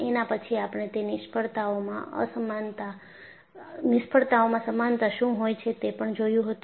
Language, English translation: Gujarati, Then we identified what is the commonality in those failures